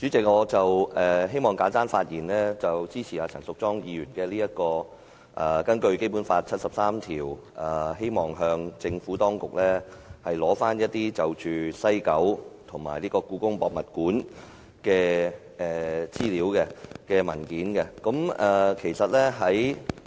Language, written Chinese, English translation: Cantonese, 主席，我希望簡單發言，支持陳淑莊議員根據《基本法》第七十三條動議的議案，向政府當局索取西九文化區和香港故宮文化博物館的相關資料和文件。, President I just want to speak briefly in support of Ms Tanya CHANs motion moved under Articles 73 of the Basic Law to request the Government to provide the relevant information and papers in relation to the West Kowloon Cultural District WKCD and the Hong Kong Palace Museum HKPM